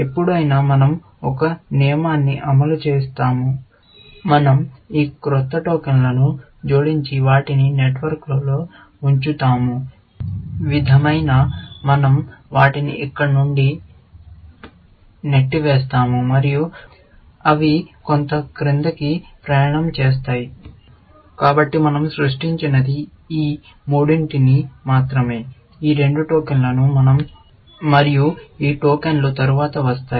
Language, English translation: Telugu, Whenever, we execute a rule, we add these new tokens, and put them down the network; sort of, we push them from here, and they will travel some down